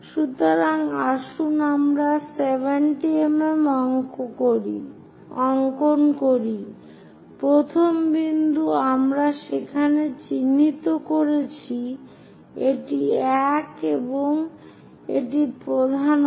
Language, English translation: Bengali, So, let us draw 70 mm, 70 mm, first point we are marking there, 70 mm we are marking, this is the one